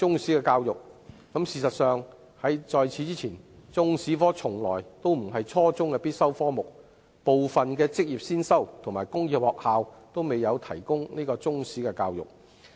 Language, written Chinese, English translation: Cantonese, 事實上，在此之前，中史科從來都不是初中的必修科目，部分職業先修和工業中學均未有提供中史教育。, The fact is before that Chinese History had never been a compulsory subject at junior secondary level and was never taught in some prevocational and secondary technical schools